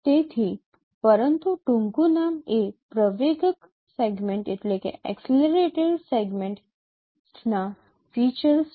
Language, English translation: Gujarati, So, but the acronym is features from accelerated segment test